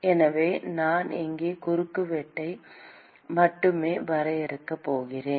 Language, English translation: Tamil, So, I am going to draw only the cross section here